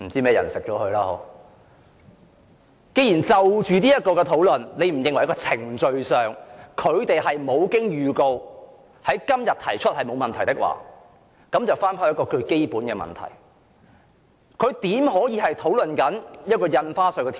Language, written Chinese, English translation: Cantonese, 既然你認為在程序上，政府無經預告而在今天動議這項休會待續議案是沒有問題的，那麼我想討論一個基本問題。, Since you think that it is procedurally okay for the Government to move without notice this motion for adjournment today I would like to discuss a basic issue